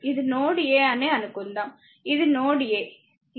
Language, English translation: Telugu, Suppose it is ah suppose it is if it is a node a